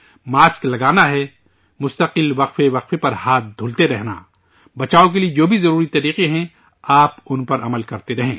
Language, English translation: Urdu, Wearing a mask, washing hands at regular intervals, whatever are the necessary measures for prevention, keep following them